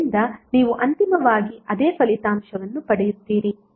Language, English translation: Kannada, So you will get eventually the same result